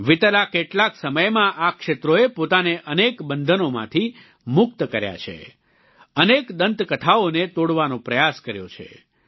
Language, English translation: Gujarati, In the recent past, these areas have liberated themselves from many restrictions and tried to break free from many myths